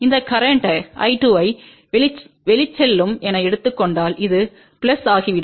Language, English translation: Tamil, If we take this current I 2 as outgoing then this will become plus